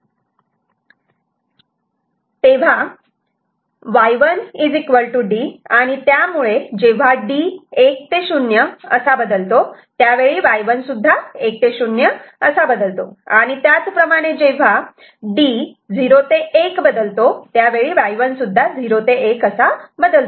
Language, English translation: Marathi, So, whenever D changes from 1 to 0, Y1 changes from 1 to 0, and also when D changes from 0 to 1, Y 1 will also change from 0 to 1 ok